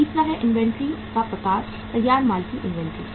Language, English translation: Hindi, Third is type of the inventory is the inventory of finished goods